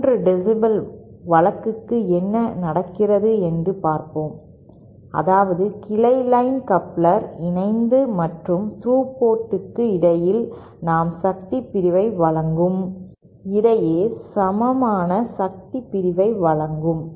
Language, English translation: Tamil, Let us see what happens for a 3 dB case, that is when the branch line coupler provides equal power division between the coupled and the through ports